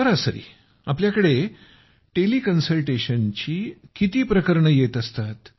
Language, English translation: Marathi, On an average, how many patients would be there through Tele Consultation cases